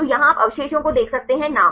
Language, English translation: Hindi, So, here you can see the residue name